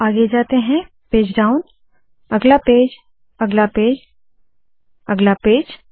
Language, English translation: Hindi, If I go to the next page, next page, next page, next page, next page and so on